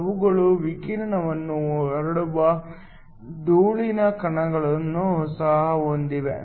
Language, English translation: Kannada, They also have dust particles which can scatter radiation